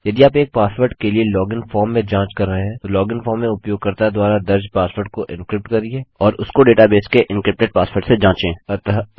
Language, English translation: Hindi, If your checking in a log in form for a password, encrypt the password the users entered in the log in form and check that to the encrypted password at the data base